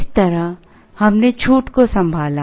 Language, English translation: Hindi, This is how we handled the discount